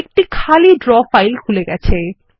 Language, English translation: Bengali, This will open an empty Draw file